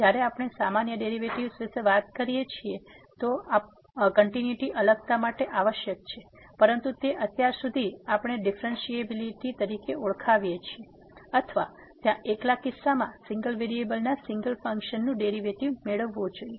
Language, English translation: Gujarati, When we talk about the usual derivatives, the continuity is must for the differentiability, but that is so far we called differentiability or getting the derivative there in case of single functions of single variable, we need continuity of the function